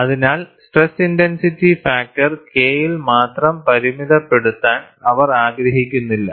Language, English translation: Malayalam, So, they do not want to restrict only to the stress intensity factor K; they also want to go to the second term